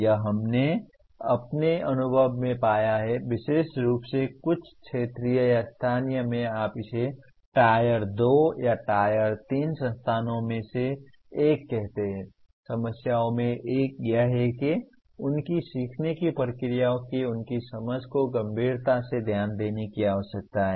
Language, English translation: Hindi, This we found in our experience especially in some of the regional or local what do you call it tier 2 or tier 3 institutions one of the problems is their understanding of their own learning processes can be seriously what requires attention